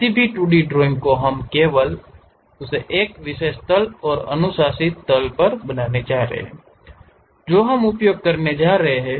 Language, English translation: Hindi, Any 2D drawing we are going to construct only on that one particular plane and the recommended plane what we are going to use is frontal plane